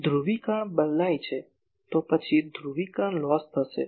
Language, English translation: Gujarati, If polarization change , then there will be polarization loss